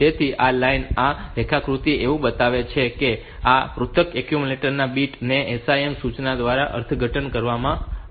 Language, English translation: Gujarati, So, this is the line this is the diagram that shows how this in individual bits of the accumulator will be interpreted by the SIM instruction